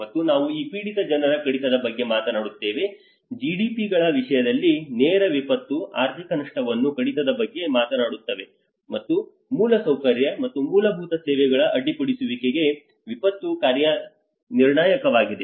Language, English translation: Kannada, And again we talk about this reduction of this affected people, reduce direct disaster economic loss in terms of GDPs and also disaster damage to critical infrastructure and disruption of basic services